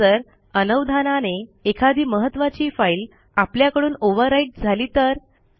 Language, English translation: Marathi, Now what if we inadvertently overwrite an important file